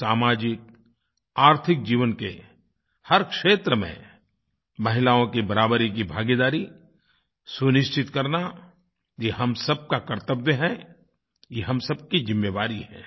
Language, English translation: Hindi, Today, it is our duty to ensure the participation of women in every field of life, be it social or economic life, it is our fundamental duty